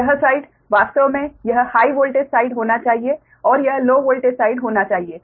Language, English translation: Hindi, so this side, actually it should be high voltage side